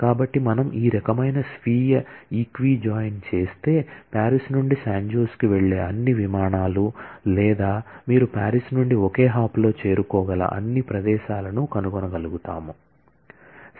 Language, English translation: Telugu, So, if we do this kind of a self equi join, then we will be able to find out all flights that go from Paris to San Jose or all places that you can reach from Paris in one hop